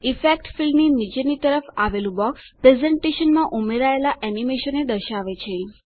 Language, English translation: Gujarati, The box at the bottom of the Effect field displays the animations that have been added to the presentation